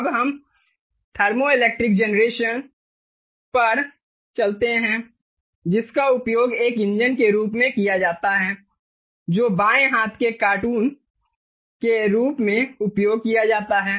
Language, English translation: Hindi, ok, ok, now lets move on to the thermoelectric generation that is used as an engine, which is the left hand cartoon